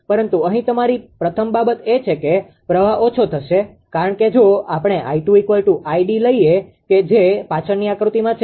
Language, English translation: Gujarati, But here your first thing is that current will reduce because if we take I I 2 is equal to I d your what in this diagram previous diagram